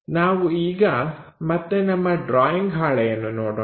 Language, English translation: Kannada, So, let us look back our solution on the drawing sheet